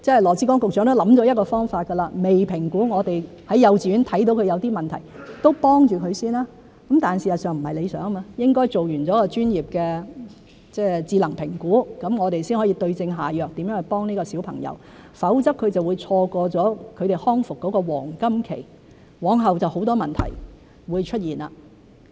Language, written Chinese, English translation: Cantonese, 羅致光局長都想了一個方法：未評估，我們在幼稚園看到他有一些問題，先給他幫忙；但事實上是不理想的，應該做完一個專業的智能評估，我們才可以對症下藥決定怎樣去幫助這個小朋友，否則他就會錯過他的康復黃金期，往後就會出現很多問題。, Secretary Dr LAW Chi - kwong has thought of a way out We will provide a child with the necessary assistance before an assessment is conducted if we find that he shows some problems in the kindergarten . But this is in fact not desirable since we should have conducted a professional intelligent assessment in order to decide on the approach to help this child in a targeted manner . Otherwise the child will miss the golden time of recovery which will give rise to a lot of problems in the future